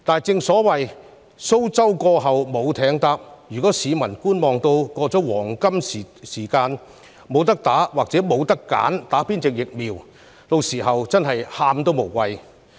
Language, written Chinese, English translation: Cantonese, 如果市民一直採取觀望態度，錯過黃金時機，屆時"無得打"或不能選擇接種哪種疫苗，真的"喊都無謂"。, If the public continue to adopt a wait - and - see attitude and miss this golden opportunity it may be too late for them to repent when vaccine is no longer available or they cannot choose which vaccine to take